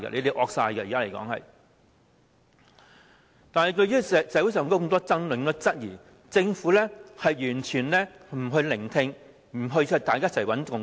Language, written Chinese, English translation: Cantonese, 對於社會上出現這麼多爭議和質疑，政府完全不聆聽，不一起建立共識。, The Government completely turns a deaf ear to the many controversies and queries in society